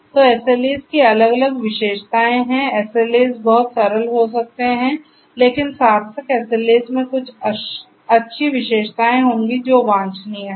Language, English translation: Hindi, So, SLAs have different different features SLAs can be very simple, naive, and so on, but meaningful SLAs will have certain good characteristics certain characteristics which are desirable